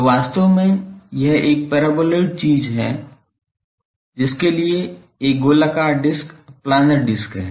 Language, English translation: Hindi, So, actually it is a circular disk planar disk for this paraboloid thing